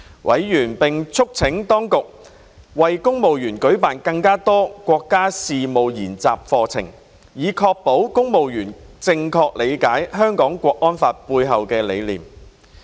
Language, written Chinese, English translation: Cantonese, 委員並促請當局為公務員舉辦更多國家事務研習課程，以確保公務員正確理解《香港國安法》背後的概念。, Members also called on the Administration to organize more training programmes on national studies for civil servants and ensure that they had an accurate understanding of the concept behind the Hong Kong National Security Law